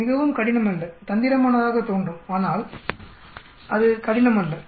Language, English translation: Tamil, It is not very difficult it looks tricky, but it is not difficult